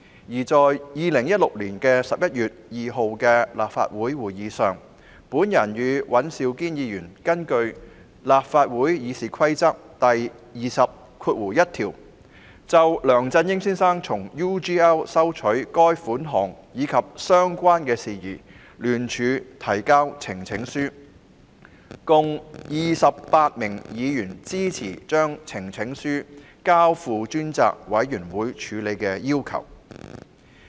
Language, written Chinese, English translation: Cantonese, 而在2016年11月2日的立法會會議上，我與尹兆堅議員根據《議事規則》第201條，就梁振英先生從 UGL 收取款項及相關事宜聯署提交呈請書，共28位議員支持將呈請書交付專責委員會處理的要求。, At the Legislative Council meeting of 2 November 2016 Mr Andrew WAN and I jointly presented in accordance with Rule 201 of the Rules of Procedure RoP a petition in connection with Mr LEUNG Chun - yings receipt of payments from UGL and related matters and a total of 28 Members supported the request for referring the petition to a select committee